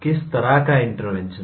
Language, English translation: Hindi, What kind of interventions